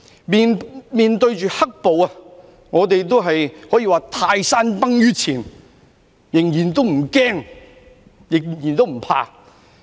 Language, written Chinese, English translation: Cantonese, 面對着"黑暴"，我們都可說是泰山崩於前仍然不驚，仍然不怕。, In the face of the black - clad violence we were arguably still neither scared nor afraid